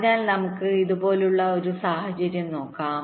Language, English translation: Malayalam, so let us look at a scenario like this